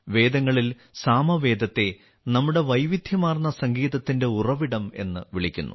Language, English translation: Malayalam, In the Vedas, Samaveda has been called the source of our diverse music